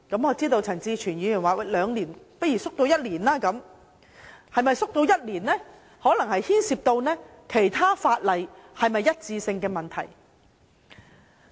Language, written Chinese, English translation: Cantonese, 我知道陳志全議員建議把兩年縮短為一年，這就可能牽涉到與其他法例的一致性的問題。, I am aware that Mr CHAN Chi - chuen has proposed to change the period from two years to one year which might involve consistency with other legislation